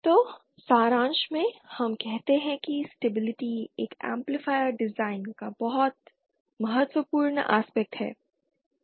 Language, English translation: Hindi, So in summary we that stability is a very important aspect of an amplifier design